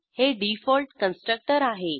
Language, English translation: Marathi, And Default Constructors